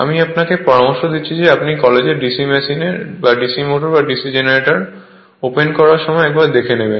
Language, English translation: Bengali, You I suggest you see in your college that open DC machine, DC motor or DC generator